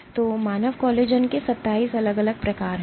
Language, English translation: Hindi, And you have 27 distinct types of human collagen